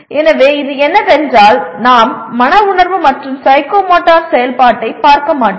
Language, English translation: Tamil, So this is what it is and we will not be looking at Affective and Psychomotor activity